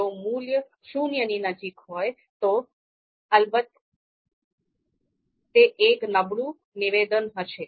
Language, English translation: Gujarati, If the value is closer to zero, then of course this is it is going to be a weaker assertion